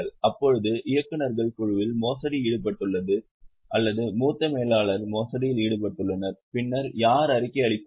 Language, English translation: Tamil, Now, board of directors may say some fraud or senior managers fraud are, whom will they report